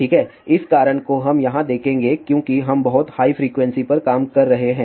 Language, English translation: Hindi, Well, the reason let just look into here because we are working at a very high frequency